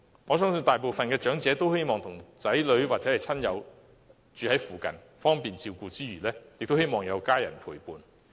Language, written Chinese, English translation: Cantonese, 我相信大部分長者都希望子女和親友可以住在附近，方便照顧之餘，也有家人陪伴。, I believe that most of the elderly persons wish to have their children friends and relatives living nearby for the sake of accessible care and companionship